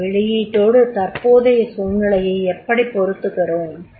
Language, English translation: Tamil, How you connect that output with the current situation